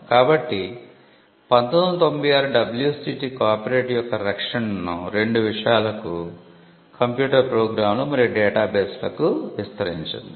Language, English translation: Telugu, So, the 1996 WCT extended the protection of copyright to two subject matters computer programs and data bases